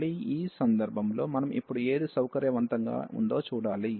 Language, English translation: Telugu, So, again in this case we have to see which one is convenient now